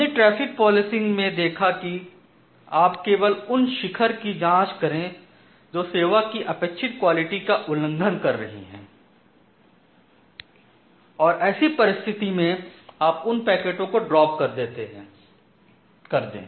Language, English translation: Hindi, So, what we have seen in case of traffic policing, you just look into the peaks which are violating the required quality of service and if they are violating you simply cut them out and drop those packets